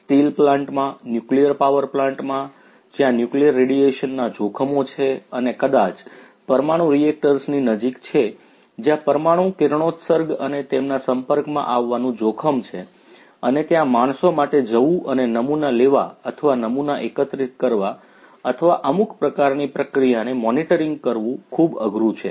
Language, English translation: Gujarati, In steel plants, in nuclear power plants where there are hazards of nuclear radiation and you know maybe close to the nuclear reactors, where there is hazard of nuclear radiations and their exposure and it is difficult for humans to go and take samples or collect samples or do certain types of monitoring activities